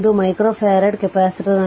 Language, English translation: Kannada, 5 micro farad capacitor right